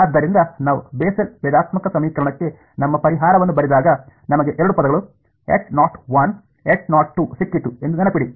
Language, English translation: Kannada, So, remember we had when we wrote our solution to the Bessel differential equation I got two terms H naught 1, H naught 2